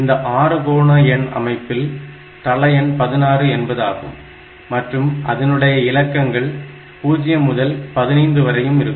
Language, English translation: Tamil, Then we have got hexadecimal number system where this hexadecimal number system the numbers can be the base value is 16 and the digits can be 0 to 15